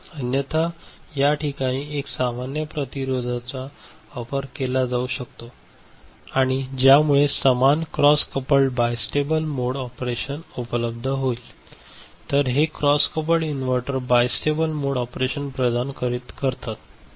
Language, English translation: Marathi, Otherwise, one can make a normal resistor also in this place and this will also provide the same cross coupled bistable mode of operation, cross coupled inverters providing bistable mode of operation ok